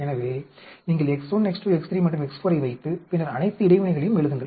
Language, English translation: Tamil, So, you put X 1, X 2, X 3 and X 4 and then, write the all the interactions